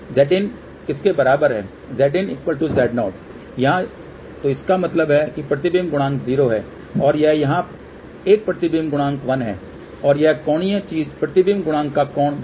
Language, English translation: Hindi, Z in equal to Z 0 here, so that means, reflection coefficient is 0 and this when here is reflection coefficient 1 and this angular thing will give the angle of the reflection coefficient